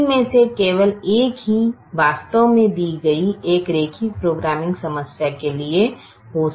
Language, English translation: Hindi, only one out of the three can actually happen for a given linear programming problem